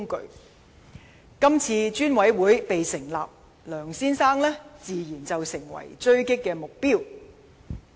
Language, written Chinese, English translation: Cantonese, 立法會成立專責委員會，梁先生自然成為狙擊目標。, With the establishment of the Select Committee by the Legislative Council Mr LEUNG naturally becomes a target of attack